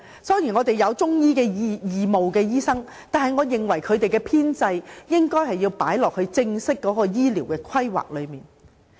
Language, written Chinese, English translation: Cantonese, 雖然我們有義務中醫師提供服務，但我認為中醫應納入正式的醫療規劃中。, Although some Chinese medicine practitioners provide free services I think Chinese medicine services should be formally incorporated into our health care planning